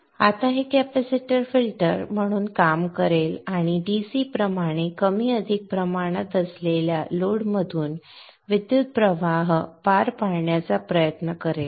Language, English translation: Marathi, Now this capacitor will act as a filter and try to pass the current through the load which is more or less a DC